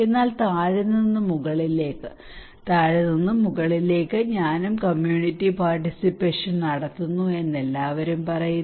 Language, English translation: Malayalam, But starting from the bottom to the top bottom to the top, everybody is saying that I am doing community participations